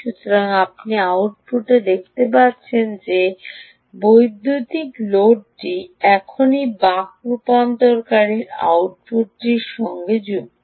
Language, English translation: Bengali, so, ah, you see at the output, this ah electronic load is right now connected to the output of the ah of the ah buck ah converter